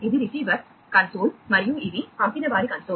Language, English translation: Telugu, So, this is the receiver console and that was the sender console